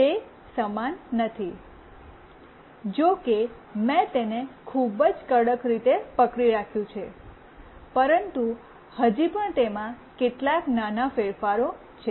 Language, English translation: Gujarati, It is not the same although I have held it very tightly, but still there are some small variations